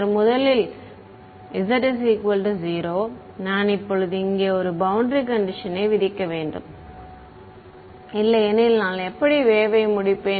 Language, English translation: Tamil, So, z equal to 0 first of all I need to now impose a boundary condition here otherwise how will I terminate the wave